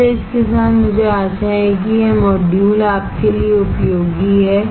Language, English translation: Hindi, So, with this I hope that this module is useful to you